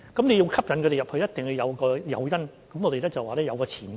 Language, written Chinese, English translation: Cantonese, 要吸引他們加入，一定要有誘因：我們說是有前景的。, In order to attract them to join the trade we must provide some incentives We say that there are prospects